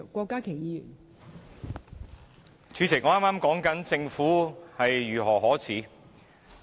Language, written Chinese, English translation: Cantonese, 代理主席，我剛才說到政府如何可耻。, Deputy President I was saying how disgraceful the Government was